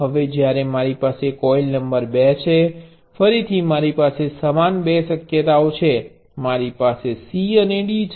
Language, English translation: Gujarati, Now when I have coil number 2, again I have the same two possibilities, I have C and D